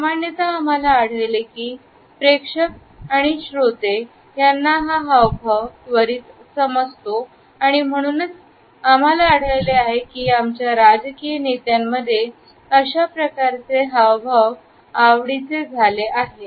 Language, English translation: Marathi, Normally, we find that audience and listeners understand this gesture immediately and therefore, we find that a slight variation of this precision grip has become a favorite gesture of today’s political leaders